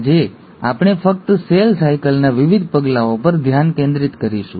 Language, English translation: Gujarati, Today we’ll only focus on the various steps of cell cycle